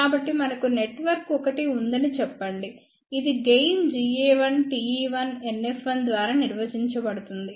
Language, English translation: Telugu, So, let us say we have a network one, which is defined by gain G a 1, T e 1, NF 1